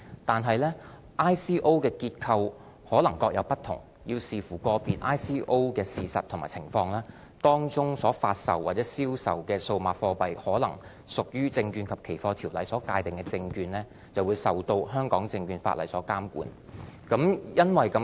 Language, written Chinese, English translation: Cantonese, 但是 ，ICO 的結構可能各有不同，要視乎個別 ICO 的事實和情況，當中所發售或銷售的數碼貨幣可能屬於《證券及期貨條例》所界定的證券，而受到香港證券法例所監管。, Also cryptocurrencies are not a legal tender in Hong Kong . However ICOs may vary in structure and all must depend on the actual circumstances of individual ICOs . If the digital tokens offered or sold in an ICO fall under the definition of securities in the Securities and Futures Ordinance they will be subject to the regulation of the Ordinance and its subsidiary legislation